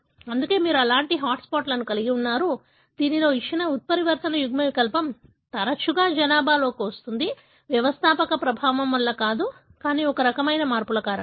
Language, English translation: Telugu, That is why you have such hot spots, wherein a given mutant allele more often comes into the population, not because of founder effect, but because of this kind of changes